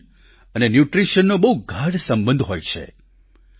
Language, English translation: Gujarati, Nation and Nutriti on are very closely interrelated